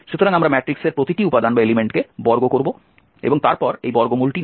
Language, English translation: Bengali, So we will square each element of the matrix and then take this square root so this is called the Frobenius Norm